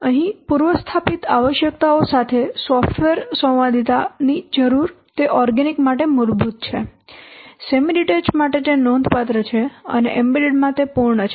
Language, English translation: Gujarati, So need for software conformance with pre established requirements here organic case is basic where semi detar is considerable and embedded it is full